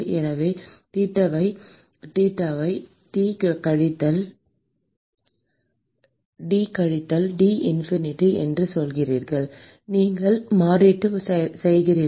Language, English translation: Tamil, So, you say theta is T minus T infinity you make a substitution